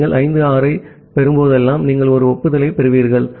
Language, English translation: Tamil, Whenever you are receiving 5, 6, 7, you will receive an acknowledgement up to 3